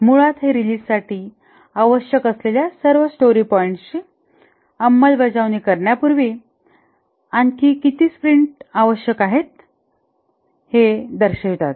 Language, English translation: Marathi, Basically, it represents how many more sprints are required before all the required story points for the release are implemented